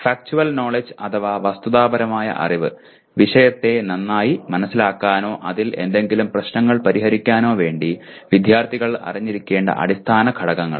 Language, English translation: Malayalam, Factual Knowledge Basic elements students must know if they are to be acquainted with the discipline or solve any problems in it